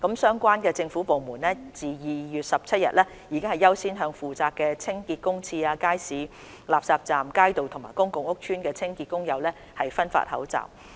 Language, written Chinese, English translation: Cantonese, 相關政府部門自2月17日起已優先向負責清潔公廁、街市、垃圾站、街道和公共屋邨的清潔工友分發口罩。, The relevant government departments have accorded priority to distributing masks to the cleansing workers responsible for cleaning public toilets public markets refuse collection points streets and public housing estates since 17 February